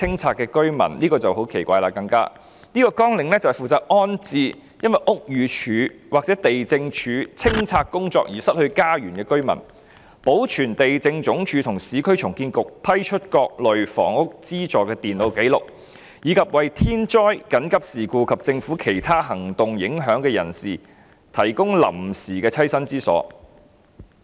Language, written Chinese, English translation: Cantonese, 這個綱領下的工作是負責安置因屋宇署或地政總署執行清拆工作而失去家園的居民，保存地政總署和市區重建局批出各類房屋資助的電腦紀錄，以及為受天災、緊急事故及政府其他行動影響的人士提供臨時棲身之所。, The work under this Programme involves rehousing residents who have lost their homes in clearance actions carried out by BD or LandsD; maintaining computerized records on miscellaneous housing benefits granted by LandsD and the Urban Renewal Authority URA; and providing temporary shelter to victims affected by natural disasters emergency incidents and other government actions